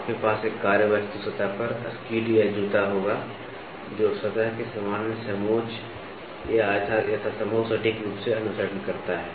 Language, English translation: Hindi, You will have a skid or a shoe drawn over a workpiece surface such that, it follows the general contour of the surface as accurately as possible